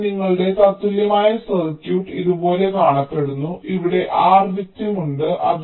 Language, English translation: Malayalam, ok, so now your equivalent circuit looks like this: there is also r victim here